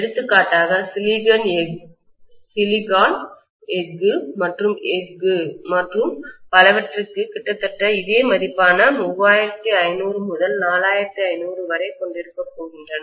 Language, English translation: Tamil, For example, for silicon steel and steel and so on, it will be about 3500 to 4500